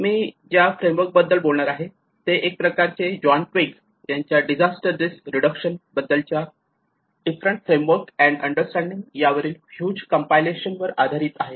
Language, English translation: Marathi, And whatever the frameworks which I am going to talk to you about, it is based on a huge compilation of various frameworks and understandings by John Twigg, especially on the disaster risk reduction